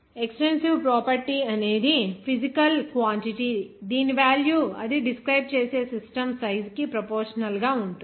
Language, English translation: Telugu, The extensive property is a physical quantity whose value is proportional to the size of the system it describes